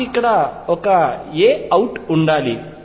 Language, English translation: Telugu, I should have an a out here